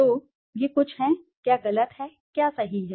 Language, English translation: Hindi, So, these are some of the, what is wrong, what is right